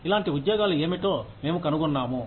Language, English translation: Telugu, We find out, what similar jobs are being